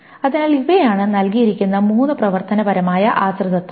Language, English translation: Malayalam, So these are the three functional dependencies that is given